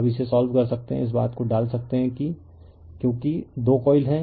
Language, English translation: Hindi, Now you can solve it by putting this thing because 2 coils are there right